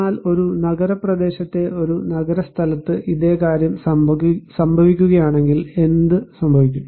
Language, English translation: Malayalam, But if this same thing is happening in an urban place in a city area what happens